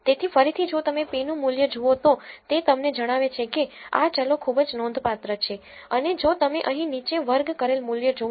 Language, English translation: Gujarati, So, again if you look at the p value it tells you that these variables are very significant and if you look at the r squared value here down